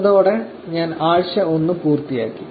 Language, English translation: Malayalam, With that I will wrap this for week 1